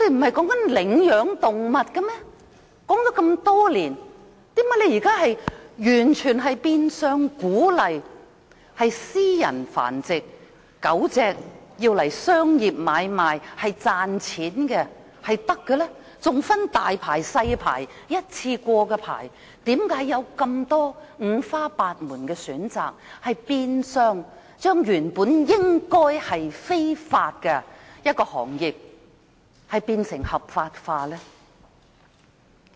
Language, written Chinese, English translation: Cantonese, 說了這麼多年，為何政府現在變相鼓勵私人繁殖狗隻，作商業買賣賺取金錢，還分"大牌"、"細牌"、單次許可證，為何訂出這五花八門的選擇，把原本應屬非法的行業合法化？, Having advocated this idea for so many years why does the Government now in effect encourage people to breed dogs privately and trade them for profits . There are also big licence small licence and one - off permit; why should a variety of choices be provided thereby legalizing such a practice which should be illegal?